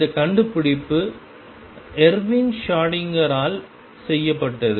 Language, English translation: Tamil, And this discovery who was made by Erwin Schrödinger